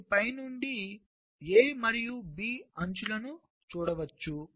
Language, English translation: Telugu, from bottom you can see the edges a and b